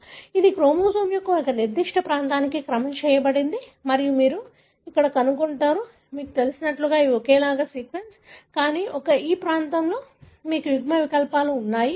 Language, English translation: Telugu, It is sequenced for a particular region of the chromosome and you will find here, you know, these are sequence that are identical, but, but this particular region you have alleles